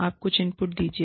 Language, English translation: Hindi, You give some inputs